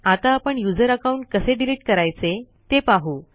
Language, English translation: Marathi, Now let us learn how to delete a user account